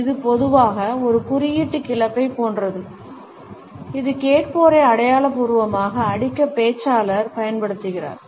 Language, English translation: Tamil, It is normally like a symbolic club, which the speaker is using to figuratively beat the listeners